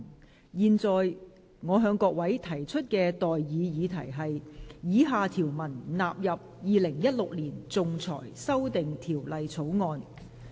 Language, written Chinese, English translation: Cantonese, 我現在向各位提出的待議議題是：以下條文納入《2016年仲裁條例草案》。, I now propose the question to you and that is That the following clauses stand part of the Arbitration Amendment Bill 2016